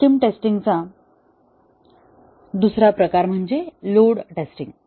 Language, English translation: Marathi, Another type of system testing is load testing